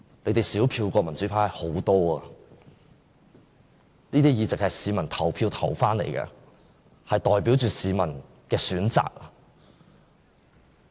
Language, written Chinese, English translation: Cantonese, 他們的票數比民主派少很多，我們的議席是經由市民投票投回來的，代表市民的選擇。, They are way inferior to the democratic camp in terms of the number of votes secured . We are returned by direct elections representing the choices of electors